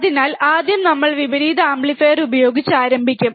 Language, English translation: Malayalam, So, first we will start with the inverting amplifier